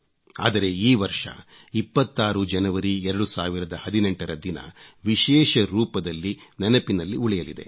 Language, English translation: Kannada, But 26th January, 2018, will especially be remembered through the ages